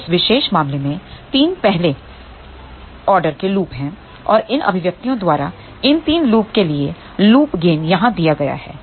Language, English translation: Hindi, So, there are 3 first order loops in this particular case and the loop gain for these 3 loops given by these expressions here